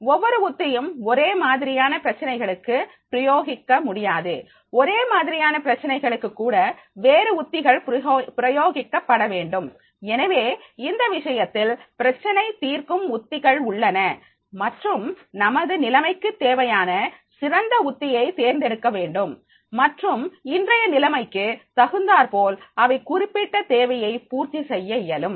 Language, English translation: Tamil, Even for the similar type of problems, different strategies are to be applied and therefore in that case there will be the problem solving strategies and choose the one that best meets the requirements of the situation and according to the situation they will be able to meet this particular requirement